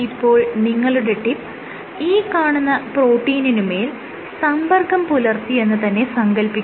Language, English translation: Malayalam, So, imagine that the tip actually came in contact with the protein; at some point of the protein